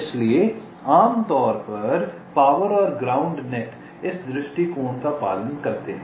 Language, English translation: Hindi, ok, so typically the power and ground nets follow this approach